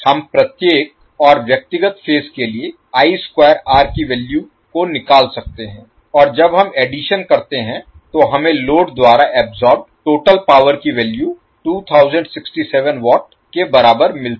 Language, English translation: Hindi, We can just calculate the value of I square r for each and individual phases and when we sum up we get the value of total power absorbed by the load is equal to 2067 watt